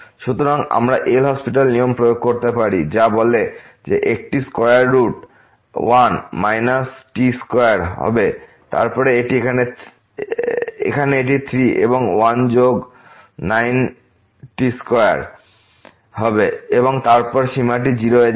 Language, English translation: Bengali, So, we can apply the L’Hospital’s rule which says this will be 1 over square root 1 minus square and then here this will be 3 and 1 plus 9 square and then, the limit t goes to 0